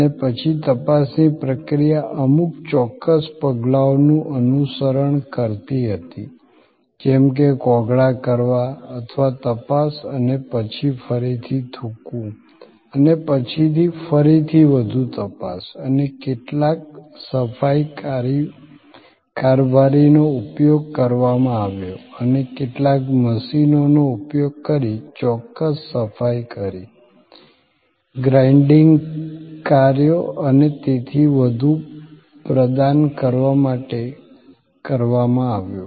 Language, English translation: Gujarati, And then, the process of examination followed a certain set of steps like gargling or examination and then, again spitting and then, again further examination and some cleaning agents were used and some machines were used to provide certain cleaning functions, grinding functions and so on